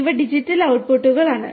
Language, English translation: Malayalam, And these are the digital outputs